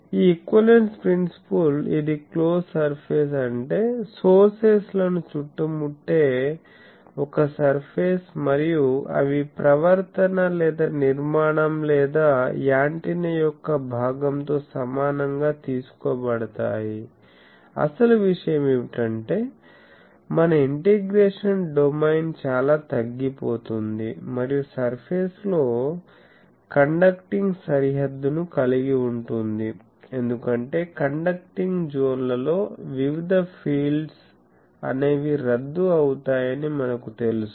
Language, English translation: Telugu, It a close surface means for this equivalence principle that, a surface which encloses the sources and they are taken to coincide with the conduct and part of the structure or antenna because then our actually the thing is our integration domain gets very much reduced, if we can include in the surface the conduction conducting boundary, because in the we know that in conducting zones various fields things gets cancelled